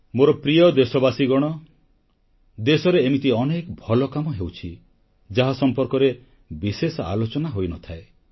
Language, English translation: Odia, My dear countrymen, there are many good events happening in the country, which are not widely discussed